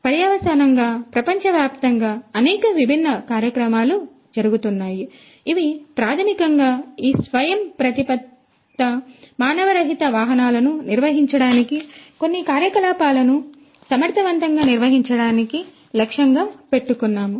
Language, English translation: Telugu, So, consequently there are so, many different initiatives happening worldwide, which are basically targeting the use of these autonomous unmanned vehicles to conduct, to carry on certain activities in an efficient manner